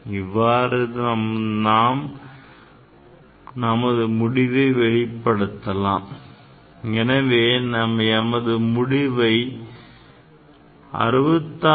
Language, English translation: Tamil, So, your result you can express like this 66